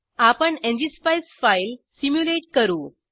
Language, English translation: Marathi, Now let us simulate the ngspice file